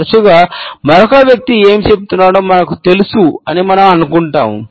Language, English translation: Telugu, Often times, we think we know exactly what another person is saying